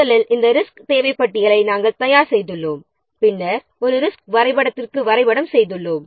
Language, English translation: Tamil, First we have prepared this resource requirement list and then we have mapped to a resource histogram